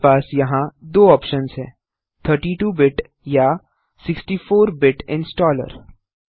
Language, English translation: Hindi, You have two options here a 32 bit or 64 bit installer